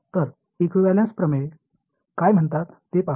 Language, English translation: Marathi, So, let us look at what equivalence theorem say